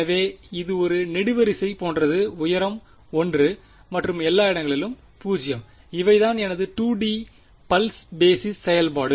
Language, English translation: Tamil, So, its like a its a column of height 1, 0 everywhere else these are my 2D pulse basis function